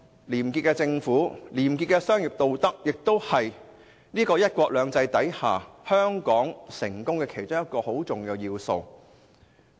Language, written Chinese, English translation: Cantonese, 廉潔的政府和廉潔的商業道德，也是香港在"一國兩制"下賴以成功的重要元素。, A clean government and corruption - free business ethics are also the key elements underpinning Hong Kongs success under one country two systems